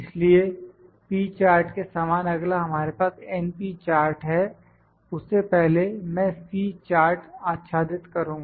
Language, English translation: Hindi, So, next similar to p charts we have np charts before that I will try to cover the C charts